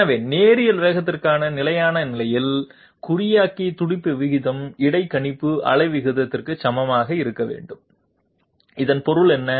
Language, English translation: Tamil, So at steady state for linear velocity, the encoder pulse rate must be equal to the interpolator pulses rate, what does this mean